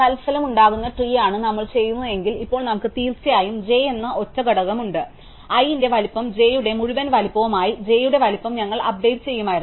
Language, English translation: Malayalam, So, if we do that this is the resulting tree, now we have a single component called j of course, we would have updated the size of j to be the size of i plus the whole size of j